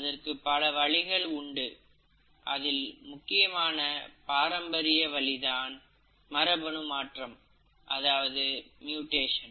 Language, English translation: Tamil, There are multiple ways, and the most classic way is the process of mutation